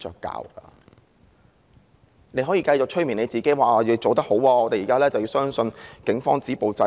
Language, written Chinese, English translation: Cantonese, 她可以繼續催眠自己，說自己做得很好，現時要相信警方能夠止暴制亂。, She can continue to hypnotize herself that she is doing a good job and the Police have to be trusted to stop violence and curb disorder now